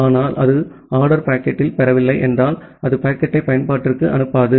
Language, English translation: Tamil, But if it does not receives in order packet, then it will not send the packet to the application